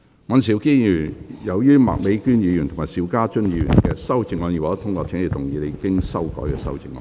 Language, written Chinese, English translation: Cantonese, 尹兆堅議員，由於麥美娟議員及邵家臻議員的修正案已獲得通過，請動議你經修改的修正案。, Mr Andrew WAN as the amendments of Ms Alice MAK and Mr SHIU Ka - chun have been passed you may move your revised amendment